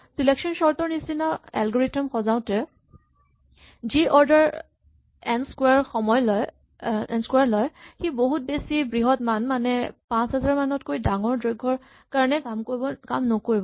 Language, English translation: Assamese, We said that for sorting algorithm like selection sort, which takes order n square will not work for the very large value say for length larger than about 5000